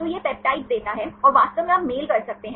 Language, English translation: Hindi, So, it gives the peptides and exactly you can match